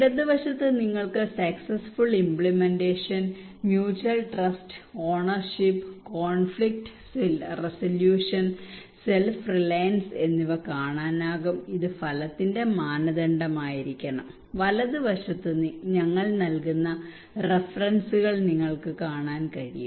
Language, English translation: Malayalam, And the left hand side you can see successful implementation, mutual trust, ownership, conflict resolution, self reliance this should be the outcome criterion and right hand side you can see the references we give